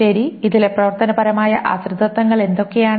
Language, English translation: Malayalam, These are the functional dependencies